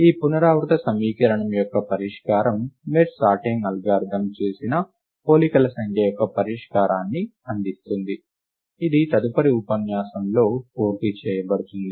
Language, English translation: Telugu, A solution to this recurrence equation, gives us a solution to the number of comparisons made by the merge sort algorithm, and this will be completed in the next lecture